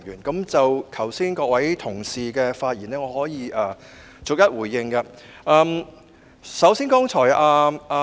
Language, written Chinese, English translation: Cantonese, 剛才各位同事的發言，我可以逐一回應。, As for the remarks made by our Honourable colleagues just now I will respond to them one by one